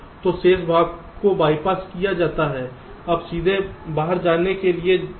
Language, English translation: Hindi, so the remaining part is, by passed in, will go straight to out